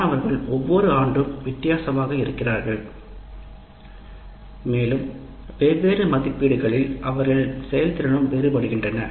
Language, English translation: Tamil, First thing is students are different every year and their performance in different assessment will also differ